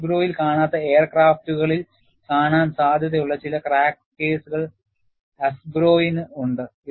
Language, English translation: Malayalam, AFGROW has some crack cases, that are more probable to be seen in aircrafts, which are not found in NASGRO